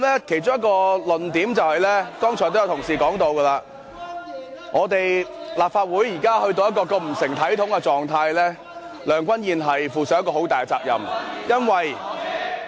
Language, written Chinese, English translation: Cantonese, 其中一個論點，剛才也有同事提到，立法會現時到了如此不成體統的狀態，梁君彥要負上很大的責任。, One of the arguments as some Members have pointed out is that Andrew LEUNG bears the greater share of responsibility for the Legislative Council falling into such a disgrace right now